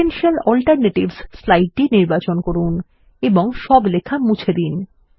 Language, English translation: Bengali, Select the slide Potential Alternatives and delete all text